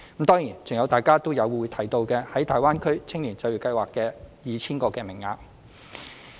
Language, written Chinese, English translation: Cantonese, 當然，還有大家也有提及的"大灣區青年就業計劃"的 2,000 個名額。, Certainly 2 000 places will also be provided under the Greater Bay Area Youth Employment Scheme which have been mentioned by Members as well